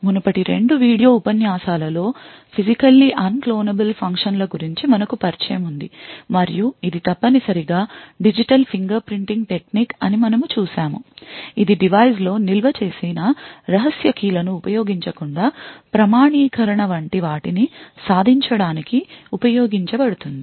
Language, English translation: Telugu, So in the previous 2 video lectures we had an introduction to physically unclonable functions and we had seen that it is a essentially a technique digital fingerprinting technique that is used to achieve things like authentication without using secret keys stored in a device